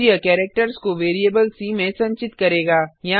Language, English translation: Hindi, Then it will store the characters in variable c